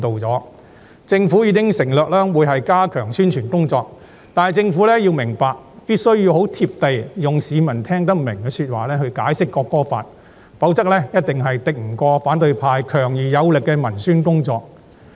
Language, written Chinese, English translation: Cantonese, 政府已承諾會加強宣傳工作，但政府必須很"貼地"，用市民聽得明白的說話來解釋《條例草案》，否則一定敵不過反對派強而有力的文宣工作。, The Government has undertaken to step up publicity but it must be more down - to - earth and explain the Bill in a language intelligible to the public . Otherwise it will be no match for the strong propaganda of the opposition camp